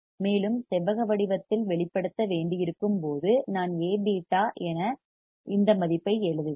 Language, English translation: Tamil, So, let us express A beta in rectangular form when we have to express in rectangular form I will write A into beta is this value